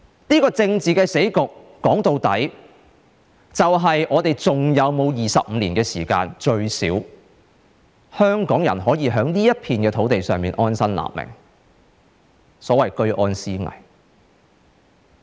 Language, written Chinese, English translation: Cantonese, 這個政治死局，說到底就是，究竟我們是否還有25年時間，最低限度讓香港人可以在這片土地上安身立命，所謂的"居安思危"？, At the end of the day this political deadlock raises the question of whether there are still another 25 years for Hongkongers to settle down on this piece of land and to prepare for rainy days in peacetime